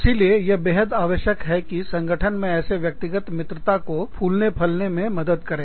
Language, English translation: Hindi, So, it is absolutely essential, that your organization helps, these personal friendships, bloom and grow